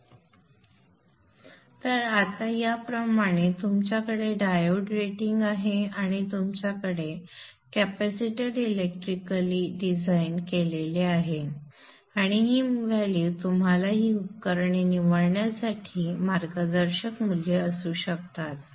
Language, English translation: Marathi, So like this now you have the diode rating and you also have the capacitor electrically designed and these values can be your guiding values for you to choose these devices